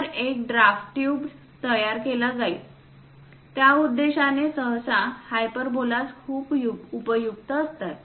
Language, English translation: Marathi, So, a draft tube will be constructed, for that purpose, usually, hyperbolas are very useful